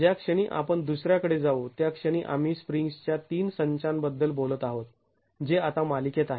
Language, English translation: Marathi, The moment we go to the other one, we are talking of three sets of springs which are in series now